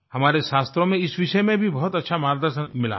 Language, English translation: Hindi, Our scriptures have provided great guidance with respect to this subject